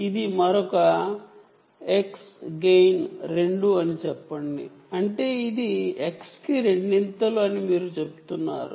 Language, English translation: Telugu, let us say: this is another x, gain is two, means it is two into x